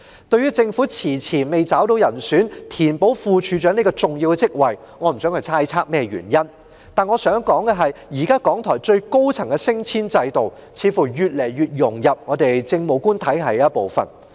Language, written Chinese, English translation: Cantonese, 對於政府遲遲未找到人選填補副處長這個重要職位，我不想猜測原因，但我想指出，港台現時最高層的升遷制度，似乎越來越融入政務官體系的一部分。, I do not wish to surmise the reason why after such a long time the Government still has not identified any candidate to fill this important post of Deputy Director but I would like to point out that the present promotion system for the top management in RTHK seems to have become increasingly integrated with the Administrative Officer grade